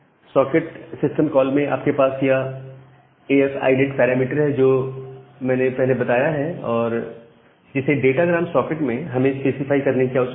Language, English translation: Hindi, In the socket system call, you have this AF INET the parameter that we have mentioned we need to specify the data gram socket